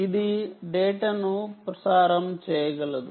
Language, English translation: Telugu, it can also transmit data